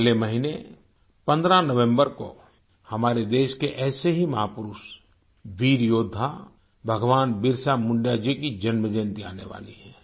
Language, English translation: Hindi, Next month, the birth anniversary of one such icon and a brave warrior, Bhagwan Birsa Munda ji is falling on the 15th of November